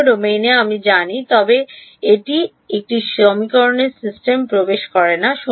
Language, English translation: Bengali, In the whole domain we know, but that does not enter into the system of equations